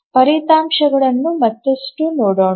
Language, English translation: Kannada, Now let's look at further into the results